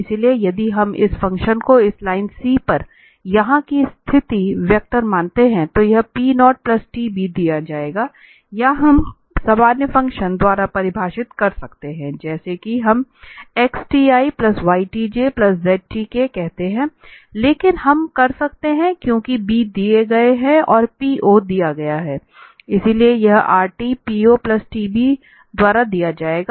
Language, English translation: Hindi, So if we consider this the position vector of this function here on this line c, that will be given by P 0 plus tb or we can define by general function as we do xt yt and zt but we can since the B is given and the P naught is given, so that Rt will be given by p naught plus tb